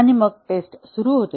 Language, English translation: Marathi, And then, the testing starts